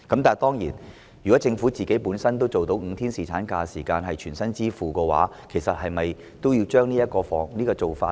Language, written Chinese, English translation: Cantonese, 當然，如果政府能夠全薪支付5天侍產假，是否也應將此做法加入現時的修正案內呢？, Of course if the Government can cover the cost of granting full pay during the five - day paternity leave should we also include this into the amendments introduced under the current exercise?